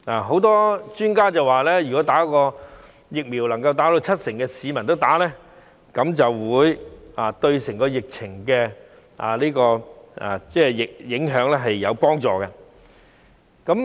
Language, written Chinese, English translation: Cantonese, 許多專家表示，如果能夠有七成市民注射疫苗，便會對紓緩疫情的影響有幫助。, Many experts say that 70 % of the population have to be vaccinated in order to alleviate the impact of the pandemic